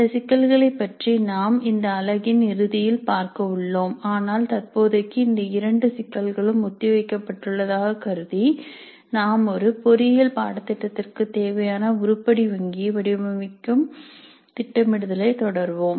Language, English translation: Tamil, We will come back to this issue towards the end of this unit but for the present assuming that these two issues are deferred we will proceed with the idea of designing the item banks for an engineering course